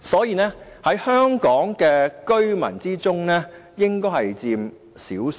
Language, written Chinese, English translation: Cantonese, 他們在香港居民中，應該只佔少數。, They are the minority among Hong Kong residents